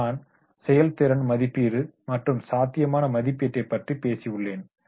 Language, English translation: Tamil, I have talked about the performance appraisal and potential appraisal